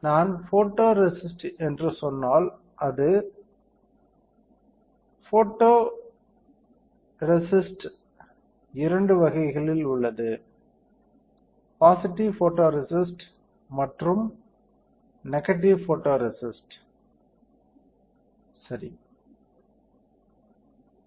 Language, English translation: Tamil, So, if I say photoresist, photoresist are of two types, positive photoresist and negative photoresist correct